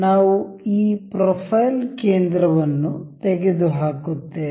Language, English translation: Kannada, We will remove this profile center